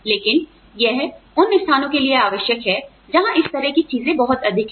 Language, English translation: Hindi, But, that is required for places, where this kind of thing is, very high